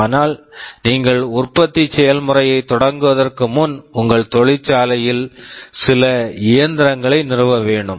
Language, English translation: Tamil, But before you start the manufacturing process, you will have to install some machines in your factory that will help you in the manufacturing